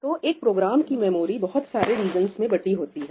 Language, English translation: Hindi, the memory of a program is divided into various regions